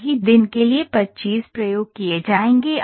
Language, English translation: Hindi, So, 25 experiments for a single day would be conducted